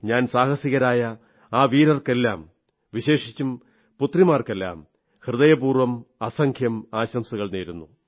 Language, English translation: Malayalam, I congratulate these daredevils, especially the daughters from the core of my heart